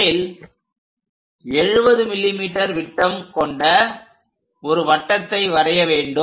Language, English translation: Tamil, First, we have to construct a circle of diameter 70 mm